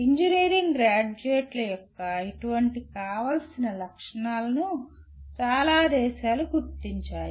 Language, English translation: Telugu, Many countries have identified such desirable characteristics of engineering graduates